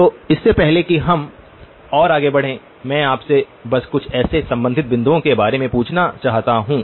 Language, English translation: Hindi, And before we even go further let me just also ask you a couple of related points connected to that